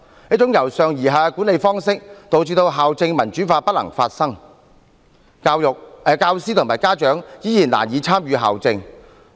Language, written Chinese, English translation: Cantonese, 這種由上而下的管理方式，導致校政民主化不能發生，教師和家長依然難以參與校政。, Such a top - down style of management inhibits the democratization of school administration and teachers and parents still find it difficult to participate in school administration